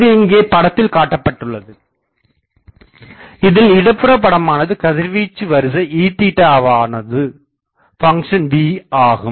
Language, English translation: Tamil, It has been shown here in the, this left diagram you will see that this is the radiation pattern E theta as a function of v